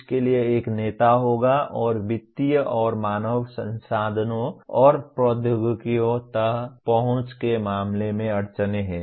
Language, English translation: Hindi, There will be a leader for that and there are constraints in terms of financial and human resources and access to technologies